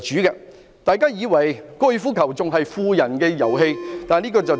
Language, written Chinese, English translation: Cantonese, 如果大家以為高爾夫球仍然是富人的遊戲，那便錯誤了。, Third promoting the popularization of golf should be the focus . If Members still think that golf is the game of the rich they are wrong